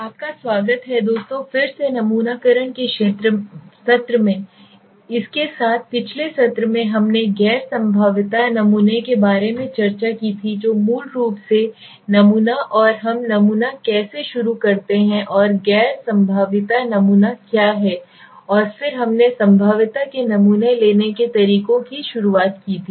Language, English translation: Hindi, Welcome friends again to the session of sampling so in the last session also we were continuing with that so in the last session we discussed about the non probability sampling basically what is the sample and how do we start the sampling and what is the non probability sampling and then we started with the probability sampling methods in which under probabilistic we said there are a few like